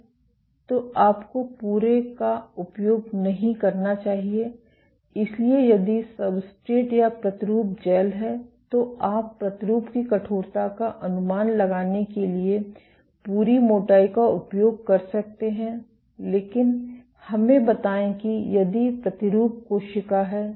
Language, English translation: Hindi, So, you should not use the entire, so if substrate or sample is the gel then, you can use the entire thickness to estimate the sample stiffness, but let us say if sample is the cell